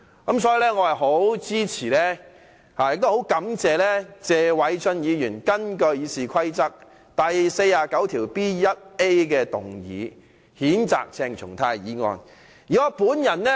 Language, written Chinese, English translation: Cantonese, 我十分支持也很感謝謝偉俊議員根據《議事規則》第 49B 條動議譴責鄭松泰的議案。, I support and thank Mr Paul TSE for moving a motion under Rule 49B1A of the Rules of Procedure to censure CHENG Chung - tai